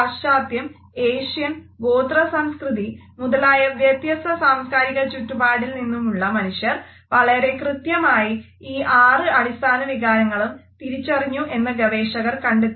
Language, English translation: Malayalam, And the researchers later on found that people who lived in different societies in Western, Asian and Tribal cultures were very accurate in recognizing these basic emotions